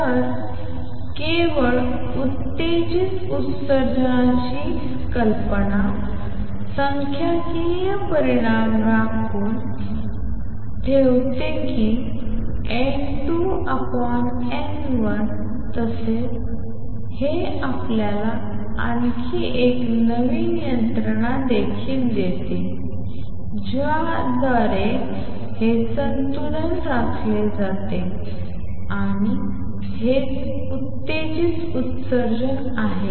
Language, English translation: Marathi, So, not only the idea of a stimulated emission reserves the statistical result that N 2 over N 1 is E raise to minus delta over u over k T it also gives you a new mechanism through which this equilibrium is maintained and that is these stimulated emission